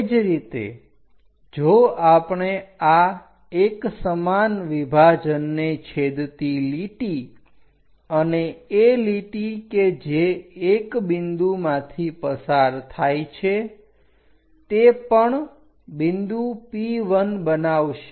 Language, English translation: Gujarati, Similarly, if we are going the intersection line of this 1 equal division and a line which is passing through 1 point that is also going to make a point P1